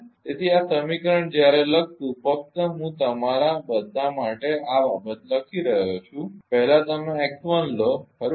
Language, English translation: Gujarati, So, when will write this equation just I am writing for all of you this thing first you take the x 1, right